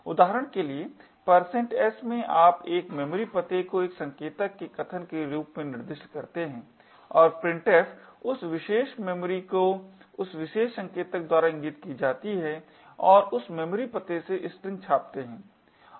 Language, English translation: Hindi, In % s for example you specify a memory address as the argument of a pointer as an argument and printf would go to that particular memory actress pointed to by that particular pointer and print the string from that memory address